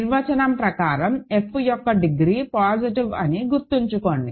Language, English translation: Telugu, So, by definition remember degree of f is positive